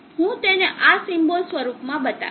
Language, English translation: Gujarati, I will show it in this symbol form